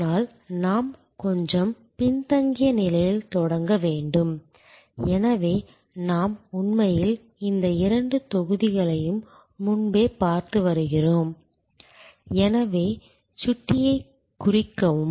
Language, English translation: Tamil, But, we have to start a little backward, so we have been actually looking at these two blocks earlier, mark my pointer